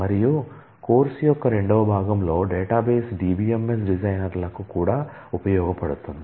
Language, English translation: Telugu, And the second part of the course would also be useful for the database a DBMS designers